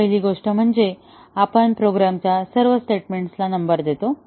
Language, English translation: Marathi, The first thing is we number all the statements of the program